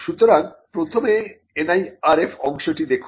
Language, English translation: Bengali, So, let us look at the NIRF part first